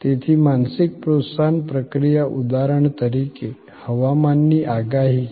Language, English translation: Gujarati, So, mental stimulus processing is for example, weather forecast